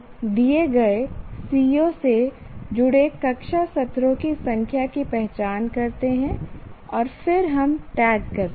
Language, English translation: Hindi, We identify the number of class sessions associated with a given CO